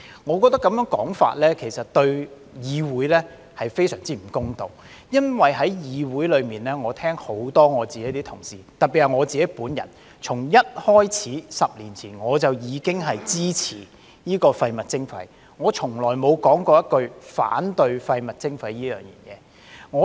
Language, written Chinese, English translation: Cantonese, 我認為這種說法對議會是相當不公道的，因為在議會中，我聽到很多同事，特別是我本人從一開始，早在10年前我已經支持廢物徵費，我從來沒有說過反對廢物徵費。, I think such comments are very unfair to the legislature because in the legislature I have heard many colleagues especially myself expressing support for waste charging from the very beginning as early as 10 years ago . Besides I have never said that I oppose waste charging